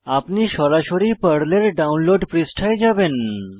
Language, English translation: Bengali, You will be directed to the download page of PERL